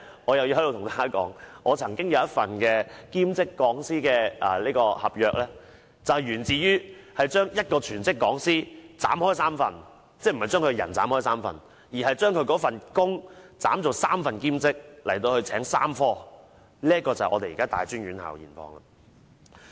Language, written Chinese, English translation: Cantonese, 我又要在此跟大家說，我曾經有一份兼職講師的合約，源自將一個全職講師分為3份——不是把人分為3份，而是把那份工作分為3份，聘請3科兼職，這便是大專院校的現況。, I have to tell Members this example again . One of my past part - time lecturer contract comes from one - third of the work of a full - time lecturer I do not mean dividing a person into three parts but dividing the teaching post into three parts and then three part - time lecturers are employed to teach the three subjects . This is the present situation of tertiary institutions